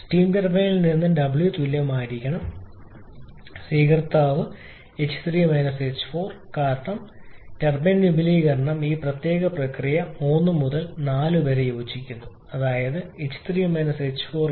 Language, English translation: Malayalam, Okay W steam turbine I should have written all year w from the steam turbine should be equal to H3 H4 because turbine expansion corresponds to this particular process 3 to 4 H3 H4 and that will be coming as 1338